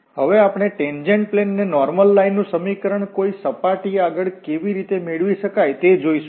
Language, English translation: Gujarati, Now, we will come to this, how to get the equation of the tangent plane and the normal line to a surface